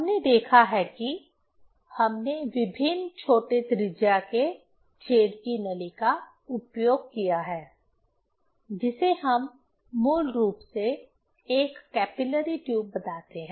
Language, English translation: Hindi, We have seen that we have used tube with various smaller radius of hole; that is, we tell, basically a capillary tube